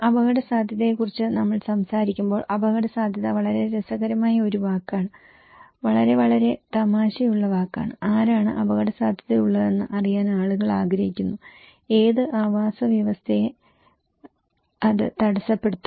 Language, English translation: Malayalam, When we are talking about risk, risk is a very funny word, very very funny word; people want to know that who is at risk, what ecosystem will be hampered